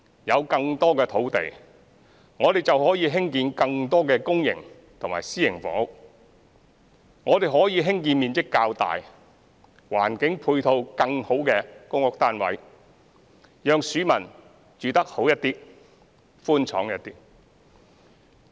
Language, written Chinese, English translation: Cantonese, 有更多土地，我們便可以興建更多公營及私營房屋，我們可以興建面積較大、環境配套更好的公屋單位，讓市民住得好一點、寬敞一點。, With the provision of more land we can develop more public and private housing units and we can build larger PRH units with better ancillary facilities so that the public can live in more spacious units with better conditions